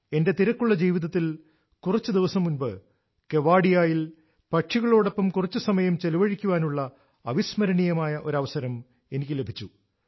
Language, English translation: Malayalam, Amid the hectic routine of my life, recently in Kevadia, I alsogot a memorable opportunity to spend time with birds